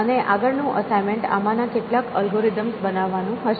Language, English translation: Gujarati, And another assignment would be implementation of some of these algorithms